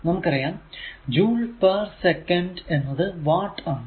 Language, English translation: Malayalam, So, joule is equal to watt second